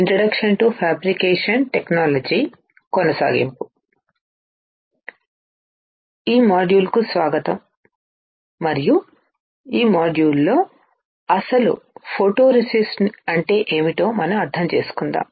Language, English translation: Telugu, Welcome to this module and in this module, we will understand what exactly photoresist is